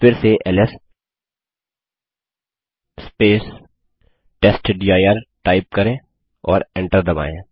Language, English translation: Hindi, Let us again press ls testdir and press enter